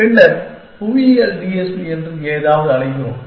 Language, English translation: Tamil, Then, we have something call the geographic TSP